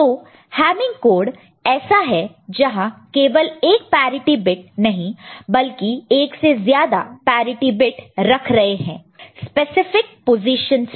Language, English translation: Hindi, So, Hamming code is something where we are putting not one parity bit more than one parity bit at specific positions